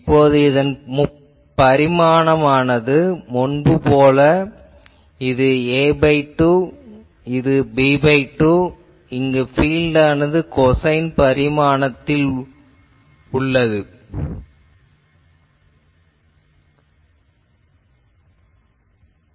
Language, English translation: Tamil, Now, this dimension is as before a by 2, this one is b by 2 and here the field will be something like this a cosine variation thing